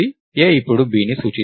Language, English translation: Telugu, So, a will now point to b